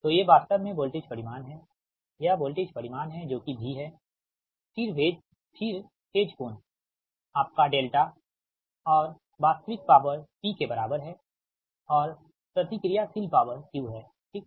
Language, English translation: Hindi, this is voltage magnitude, that v, then phase angle, your delta and real power is equal to p and reactive power is q, right